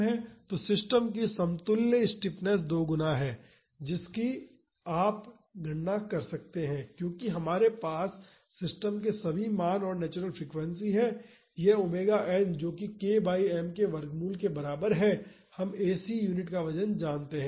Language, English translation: Hindi, So, the equivalent stiffness of the system is two times that you can calculate this because we have all the values and the natural frequency of the system this omega n that is root of k by m we know the weight of the AC unit